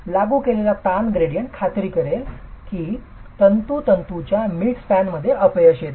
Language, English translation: Marathi, The stress gradient that is applied will ensure failure occurs at the bottom fiber mid span